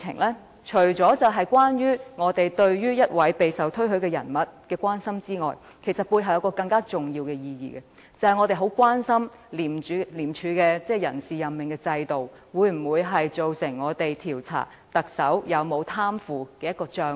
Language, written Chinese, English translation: Cantonese, 這除了是我們對於一位備受推許人員的關心之外，背後還有一重更重要的意義，那就是我們非常關注廉署的人事任命制度，會否造成調查特首有否貪腐行為的障礙。, This is not only a gesture to show our concern for an officer who has been highly commended for her outstanding performance but also a move with an even more important meaning behind because we feel deeply concerned whether the appointment system of ICAC will constitute a hurdle in the investigation of the alleged corruption of the Chief Executive